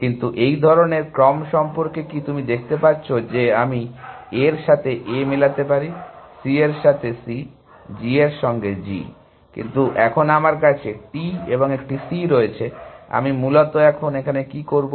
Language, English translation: Bengali, But, what about sequences like this, you can see that, I can match A with A; C with C; G with G; but now I have T here and a C here essentially, what do I do essentially